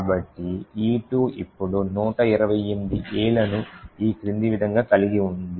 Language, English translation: Telugu, Therefore, E2 now contains 128 A’s as follows